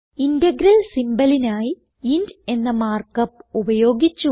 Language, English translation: Malayalam, We have used the mark up int to denote the integral symbol